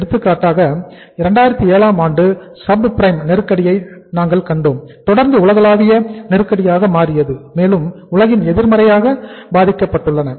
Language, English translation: Tamil, For example we have seen the uh say subprime crisis in 2007 and that say continued and that it became a global crisis and most of the countries in the in the world were affected negatively